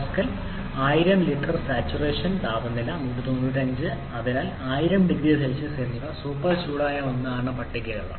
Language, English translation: Malayalam, 4 megapascal 1000 litres of saturation temperature 195 so 1000 degrees Celsius if it is a super heated one